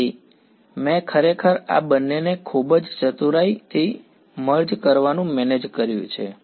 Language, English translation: Gujarati, So, I have actually manage to merge these two in a very clever way